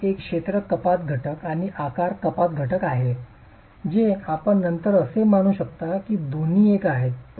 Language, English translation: Marathi, There is an area reduction factor in a shape reduction factor which come in later